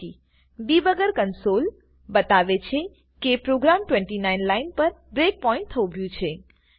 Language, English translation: Gujarati, There is also a Debugger Console that says that the program hit a breakpoint on line 29 and has stopped there